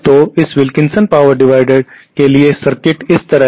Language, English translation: Hindi, So, the circuit for this Wilkinson power divider is like this